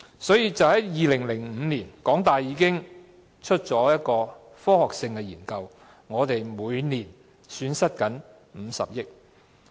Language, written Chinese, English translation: Cantonese, 換言之，在2005年，港大已經發表了一份科學性的研究，指出香港每年正損失50億元。, In other words in 2005 HKU had published a scientific study stating that Hong Kong was losing 5 billion per annum